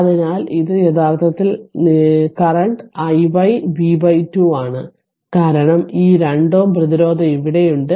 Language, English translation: Malayalam, So, this is actually your current i y v upon 2 right because this 2 ohm resistance is here, so let me clear it